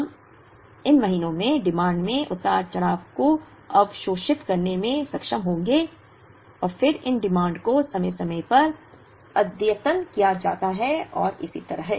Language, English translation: Hindi, We will be able to absorb fluctuations in demand, over these months and then these demands get periodically updated and so on